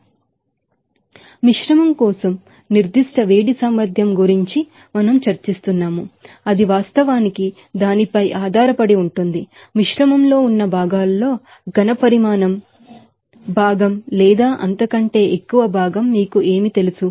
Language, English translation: Telugu, And the specific heat capacity for the mixture we have also discuss about that it is actually depending on that, what is the you know volume fraction or more fraction of that components are present in the mixture